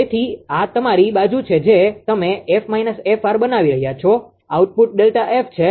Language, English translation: Gujarati, So, this is your this side you are making F minus f r the output is delta F